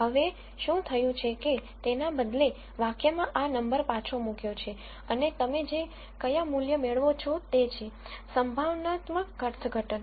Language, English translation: Gujarati, Now, what has happened is instead of that, this number is put back into this expression and depending on what value you get you get a probabilistic interpretation